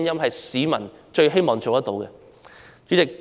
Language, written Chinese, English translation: Cantonese, 這是他們最希望做到的事。, This is something they want to do the most